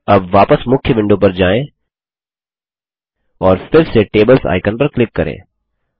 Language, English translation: Hindi, Now, let us go back to the main window and click on the Tables Icon again